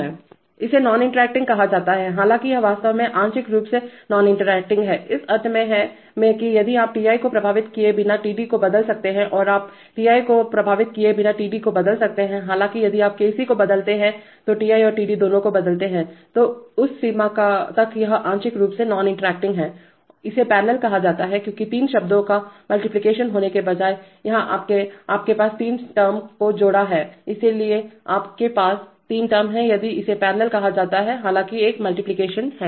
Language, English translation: Hindi, It is called non interacting although it is actually partially non interacting, in the sense that if you can change Ti without affecting Td and you can change Td without affecting Ti, however if you change Kc both Ti and Td change, so to that extent it is partially non interacting, it is called parallel because rather than having multiplication of three terms, here you have sum of three terms, so you have sum of three terms, so that is why it is called parallel, although there is a multiplication